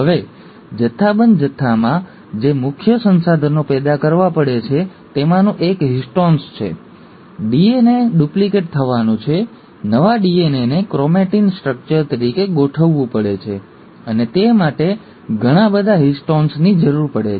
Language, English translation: Gujarati, Now one of the major resources which have to be generated in bulk quantity are the histones, because of the DNA is going to get duplicated, the new DNA has to be organized as a chromatin structure, and for that, lots of histones are required